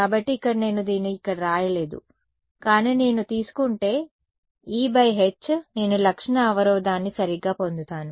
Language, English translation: Telugu, So, here I did not write this over here, but if I take mod E by mod H, I will get the characteristic impedance right